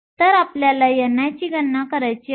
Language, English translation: Marathi, So, we want to calculate n i